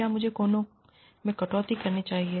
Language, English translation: Hindi, Or, should I cut corners